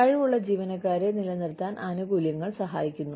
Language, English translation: Malayalam, Benefits help retain talented employees